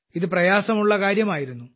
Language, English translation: Malayalam, It was a difficult task